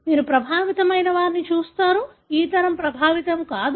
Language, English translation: Telugu, You see an affected, this generation is not affected